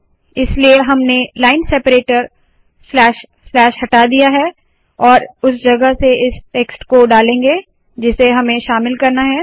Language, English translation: Hindi, So the line separator slash, slash slash is removed and in that place we introduce this text that we want to include